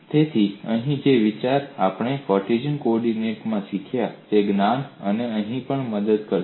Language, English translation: Gujarati, So the idea here is whatever we have learnt in Cartesian coordinate, the knowledge would help here